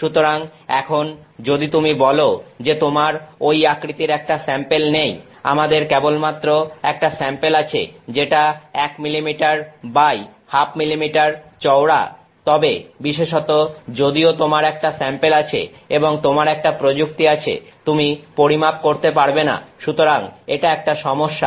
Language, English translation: Bengali, So, now if you say that I do not have a sample that size, I have only a sample that is 1 millimeter by half a millimeter across, then essentially even though you have the sample and you have the technique you cannot make a measurement; so, that is a problem